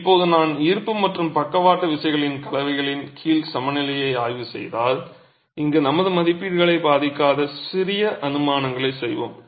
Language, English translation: Tamil, Now if I were to examine the equilibrium under a combination of gravity and lateral forces, we make little assumptions which will not jeopardize our estimations here